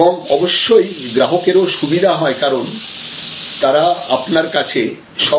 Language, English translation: Bengali, And of course, the customers also have some benefits, because they have one stop shop